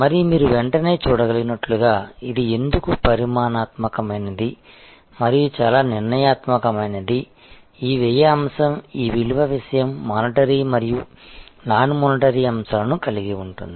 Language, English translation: Telugu, And as you can immediately see that, why this is quite quantitative and quite deterministic, this cost aspect that this value thing has both monitory and non monitory aspects